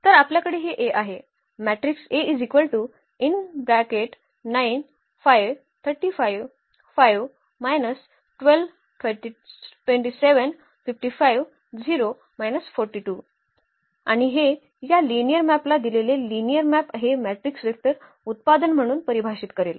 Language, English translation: Marathi, So, we have this A here, the matrix A and that will define this linear map the given linear map as this matrix vector product